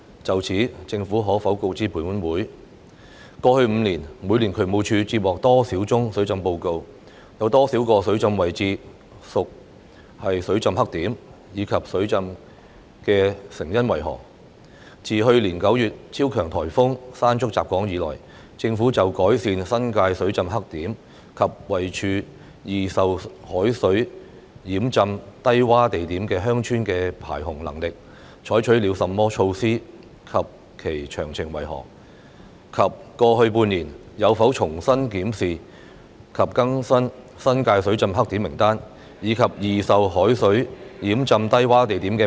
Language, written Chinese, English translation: Cantonese, 就此，政府可否告知本會：一過去5年，每年渠務署接獲多少宗水浸報告，有多少個水浸位置屬水浸黑點，以及水浸的成因為何；二自去年9月超強颱風山竹襲港以來，政府就改善新界水浸黑點及位處易受海水淹浸低窪地點的鄉村的排洪能力，採取了甚麼措施及其詳情為何；及三過去半年，有否重新檢視及更新新界水浸黑點名單，以及易受海水淹浸低窪地點的名單......, In this connection will the Government inform this Council 1 of the number of flooding reports received by the Drainage Services Department in each of the past five years the number of the flooding locations which were flooding black spots as well as the causes for the flooding; 2 of the measures taken by the Government since the onslaught of super typhoon Mangkhut in September last year to improve the flood discharge capacity at the flooding black spots and the villages at low - lying locations vulnerable to seawater inundation in the New Territories as well as the details of such measures; and 3 whether it reviewed afresh and updated in the past six months the list of flooding black spots and the list of low - lying locations vulnerable to seawater inundation in the New Territories